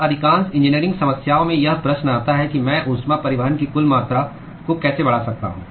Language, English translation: Hindi, Now the question comes in most of the engineering problems is how can I increase the total amount of heat transport